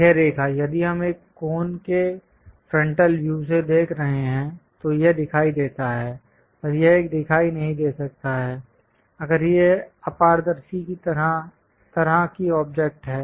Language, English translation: Hindi, This line, if we are looking from frontal view of a cone, this is visible; and this one may not be visible if it is opaque kind of object